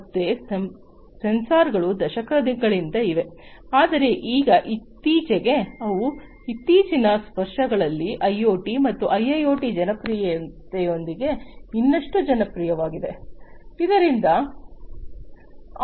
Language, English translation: Kannada, Again sensors have been there for decades, but then now recently they have become even more popular in the recent years, with the popularity of IoT and IIoT